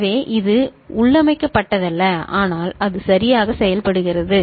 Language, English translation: Tamil, So, it is not built in, but it works in that manner ok